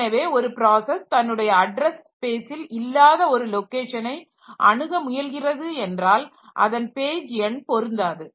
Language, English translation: Tamil, So, if a process tries to access some location which is beyond its address space so that page number will not match